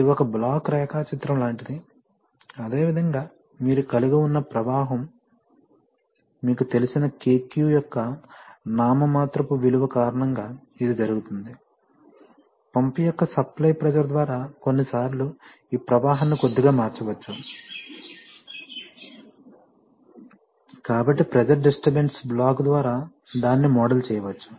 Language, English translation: Telugu, This is like a block diagram, similarly the flow that you are having this, which was fine assuming that is going through because of your nominal value of KQ that you know, sometimes that this this flow can be slightly changed, if the supply pressure of the pump changes, so to model that they have put a pressure disturbance block, so if you want to, because these are you know I am sorry